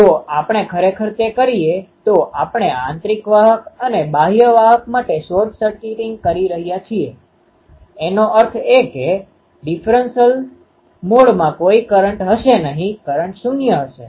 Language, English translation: Gujarati, If we do that actually we are short circuiting the inner conductor and outer conductor; that means, there won't be any current in the differential mode current will be zero0